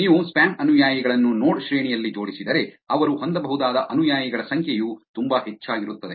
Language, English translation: Kannada, If you arrange the spam followers in the node rank which is the number of followers that they may have is actually very high